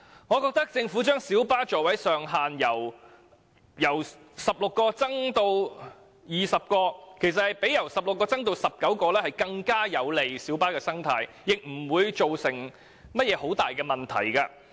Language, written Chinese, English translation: Cantonese, 我覺得政府將小巴座位上限由16個增加至20個，其實較由16個增至19個更有利於小巴的生態，而且不會造成任何重大問題。, In my view if the Government increases the maximum seating capacity of light buses from 16 to 20 instead of 19 it will actually be more beneficial to maintaining the ecology of the light bus trade without causing any serious problem